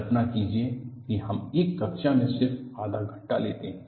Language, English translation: Hindi, Imagine we take just half an hour in a class